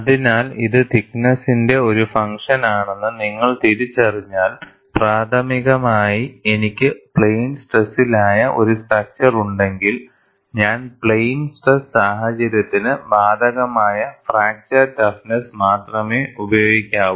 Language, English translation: Malayalam, So, once you recognize it is a function of thickness, if I am having a structure which is primarily in plane stress, I should use only the fracture toughness applicable for plane stress situation